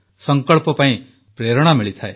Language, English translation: Odia, There is inspiration for resolve